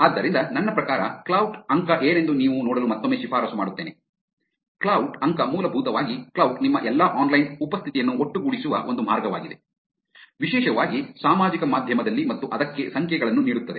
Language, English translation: Kannada, So, I mean I would recommend again you people look at what Klout score is, Klout score is essentially a way by which Klout collates all your online presence, particularly in the social media, and gives numbers to it